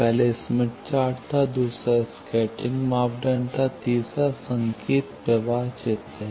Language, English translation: Hindi, First was Smith chart; the second was scattering parameter; the third is signal flow graph